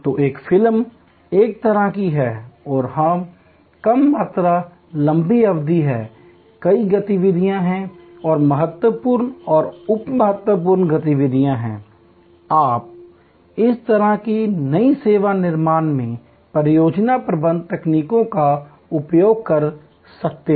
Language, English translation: Hindi, So, a movie is one of a kind and it is a low volume, long duration, there are many activities and there are critical and sub critical activities, you can use project management techniques in this kind of new service creation